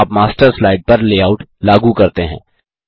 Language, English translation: Hindi, Check what happens when you apply a Layout to a Master slide